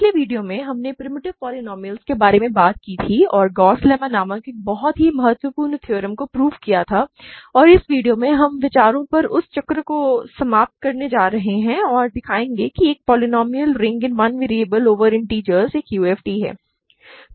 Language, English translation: Hindi, In the last video we talked about primitive polynomials and proved a very important theorem called Gauss lemma and in this video, we are going to finish that circle of ideas and show that the polynomial ring over integers in one variable polynomial ring in one variable over the integers is a UFD